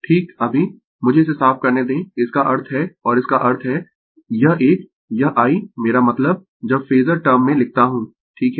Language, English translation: Hindi, Right now let me clear it; that means, and; that means, this one this I I means when you write in the phasor term right